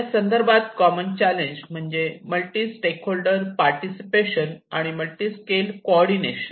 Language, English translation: Marathi, Whereas the common challenges which has a multi stakeholder participation and multi scale coordination